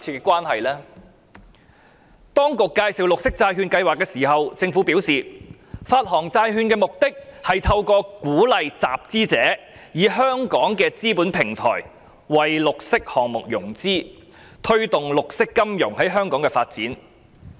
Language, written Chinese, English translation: Cantonese, 政府在介紹綠色債券計劃時，表示發行債券的目的是透過鼓勵集資者以香港的資本平台，為綠色項目融資，推動綠色金融在香港發展。, In its introduction of the Programme the Government said the purpose of the issuance of bonds was to promote the development of green finance in Hong Kong by encouraging issuers to arrange financing for green projects through Hong Kongs capital markets